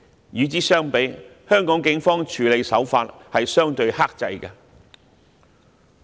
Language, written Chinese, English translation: Cantonese, 與之相比，香港警方的處理手法相對克制。, In comparison the approach adopted by the Hong Kong Police Force has been more restrained